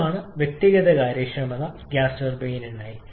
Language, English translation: Malayalam, This is the individual efficiency for a gas turbine